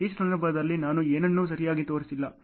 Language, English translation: Kannada, In this case I have not shown anything ok